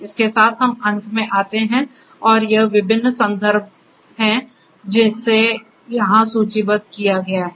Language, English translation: Hindi, So, with this we come to an end and this is the assortment of different references that is listed for here